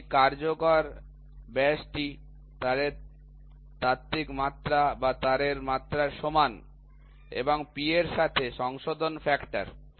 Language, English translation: Bengali, So, this is the effective diameter is equal to theoretical dimension of the or the dimension of the wire and P is the correction factor with this